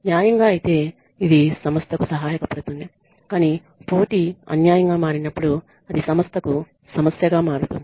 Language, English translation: Telugu, By fair means great it helps the organization, but when the competition becomes unfair becomes unhealthy then it becomes a problem for the organization